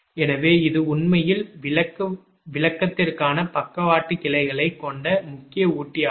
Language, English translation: Tamil, so this is actually main feeder with lateral branches for explanation